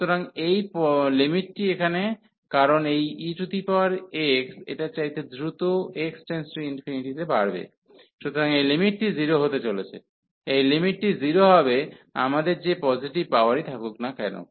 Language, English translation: Bengali, So, this limit here, because this e power x will go will grow faster to x to infinity than this one, so this limit is going to be 0, this limit is going to be 0 whatever positive power we have